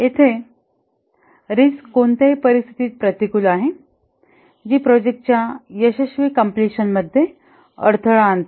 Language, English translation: Marathi, Here the risk is any adverse circumstance that might hamper the successful completion of the project